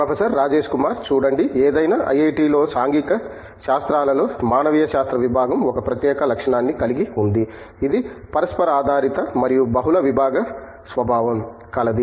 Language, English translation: Telugu, See, the Department of Humanities in Social Sciences in any IIT is has a unique feature, which is itÕs intra disciplinary and multidisciplinary nature